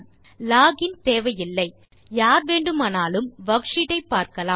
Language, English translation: Tamil, This does not require login and anyone can view the worksheet